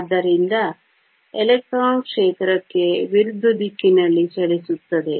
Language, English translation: Kannada, So, the electron travels in the direction opposite to the field